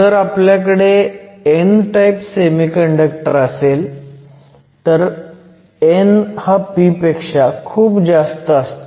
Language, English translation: Marathi, If you have an n type semiconductor, n is typically much larger than p